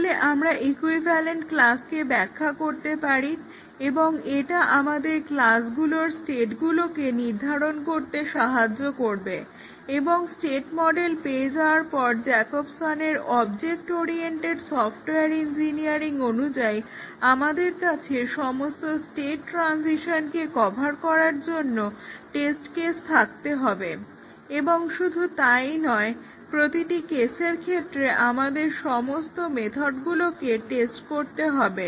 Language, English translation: Bengali, So, we can define equivalence classes and that will help us determine the states of the class and once we have the state model Jacobson’s object oriented software engineering advocates that we have to have test cases to cover all state transitions and not only that in each state all the methods have to be tested